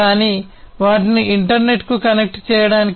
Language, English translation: Telugu, These ones can be connected to the internet